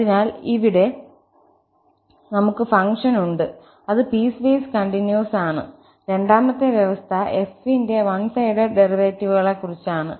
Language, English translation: Malayalam, So, here, we have the function which is piecewise continuous function and the second condition is more important, one sided derivatives of f